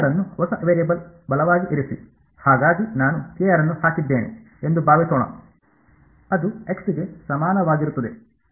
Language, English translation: Kannada, Put k r as a new variable right; so supposing I have put k r is equal to x ok